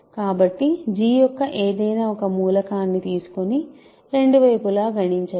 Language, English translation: Telugu, So, let us take an arbitrary element of G and compute both sides